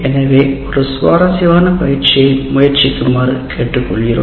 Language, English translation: Tamil, So, we request you to try an exercise